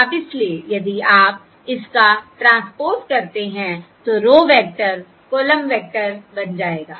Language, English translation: Hindi, Now, therefore, if you take the transpose, of course the row vector will become the column vector